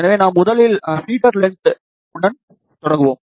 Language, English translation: Tamil, So, I will start first with the feeder length